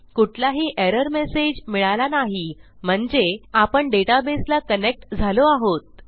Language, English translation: Marathi, No error message, which means we are connected to the database